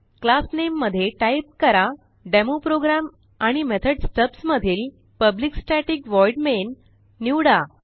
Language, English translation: Marathi, In the class name type DemoProgram and in the method stubs select one that says Public Static Void main